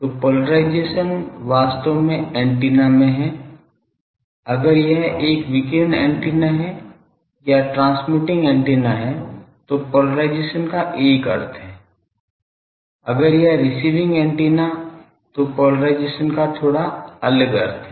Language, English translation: Hindi, Now polarisation is actually in antenna if it is a radiating antenna or transmitting antenna, polarisation has one meaning, if it is a receiving antenna polarisation has a slightly different meaning